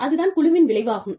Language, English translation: Tamil, That is the team outcome